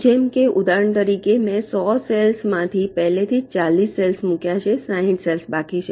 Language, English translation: Gujarati, like, for example, out of the hundred i have already placed forty cells, sixty are remaining